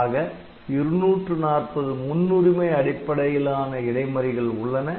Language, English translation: Tamil, So, so, there are 240 such prioritizable interrupt